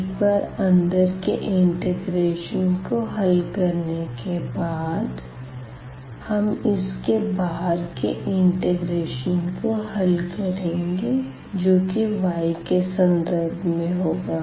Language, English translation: Hindi, So, then once having done the evaluation of the inner integral we will go to the outer one now with respect to y